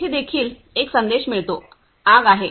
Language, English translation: Marathi, On here also get a message, there is fire